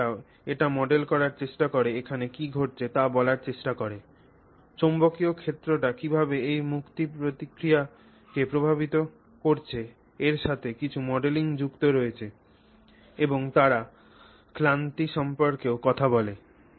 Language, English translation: Bengali, They also look at and also try to model it, try to tell you know what is happening here, how is that magnetic field impacting this release process so there is some modeling associated with that and they also speak about you know fatigue